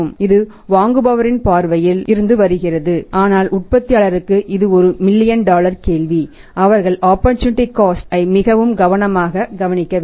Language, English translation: Tamil, This is from the buyer's point of view but for the manufacturer also is a million dollar question they have to be very carefully looked at the opportunity cost